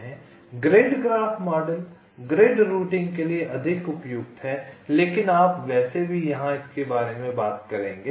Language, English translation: Hindi, the grid graph model is more suitable for grid routing, but you shall anyway talk about it here